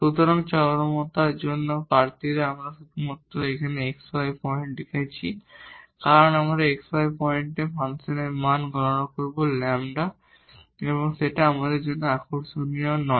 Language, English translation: Bengali, So, the candidates for this extrema I am just writing here in term the x y points because, we will compute the function value at the x y point lambda is not interesting for us there